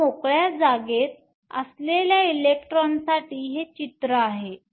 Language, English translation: Marathi, Now, this is the picture for an electron that is in free space